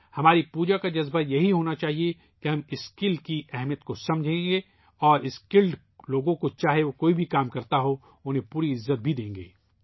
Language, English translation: Urdu, The spirit of our worship should be such that we understand the importance of skill, and also give full respect to skilled people, no matter what work they do